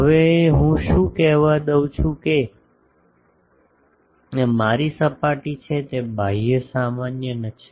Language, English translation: Gujarati, What I now let me say that this is my the surface has a outward normal